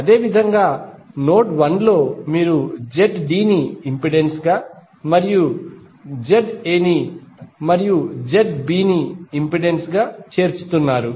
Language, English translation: Telugu, Similarly in node 1 you are joining Z D as a impedance and Z A as an impedance and Z B as an impedance